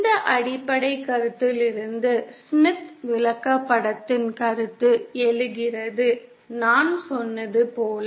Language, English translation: Tamil, So this is the basic concept as I said on which the Smith Chart, concept of Smith Chart arises